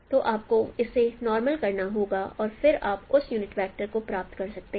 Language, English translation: Hindi, So for unit direction you need to do the normalization of that vector